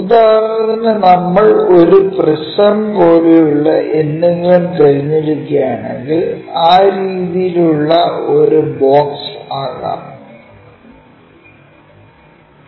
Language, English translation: Malayalam, For example, if we are picking something like a prism maybe a box in that way